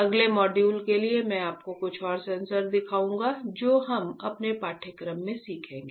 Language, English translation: Hindi, For next module I will show you few more sensors that we will be learning in our course